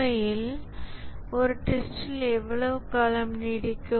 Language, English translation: Tamil, In reality, how long does testing go on